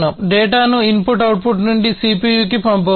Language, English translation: Telugu, The data could also be sent from the input output to the CPU